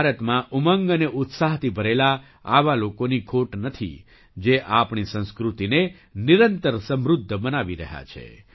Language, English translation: Gujarati, There is no dearth of such people full of zeal and enthusiasm in India, who are continuously enriching our culture